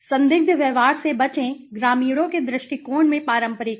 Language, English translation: Hindi, Avoid suspicious behaviors; villagers are traditional in the outlook